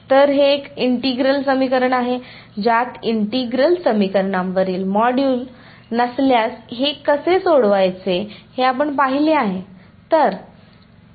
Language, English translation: Marathi, So, this is a integral equation which in the module on integral equations if no we have seen how to solve this